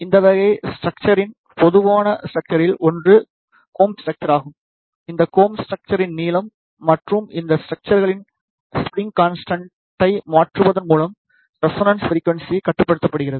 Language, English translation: Tamil, One of the common structure of these type of structure is the common structure, where the resonance frequency is controlled by changing the length of the common structure and the spring constant of these structures